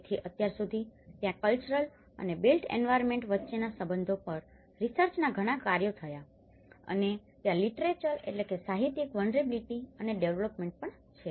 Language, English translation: Gujarati, So till now, there are main lot of research works on cultural and the relation between built environment and there is also a lot of literature vulnerability and the development